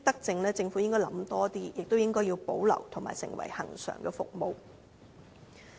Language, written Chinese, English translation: Cantonese, 政府應該多考慮這些德政，並且保留成為恆常服務。, The Government should consider implementing and regularizing more of these virtuous polices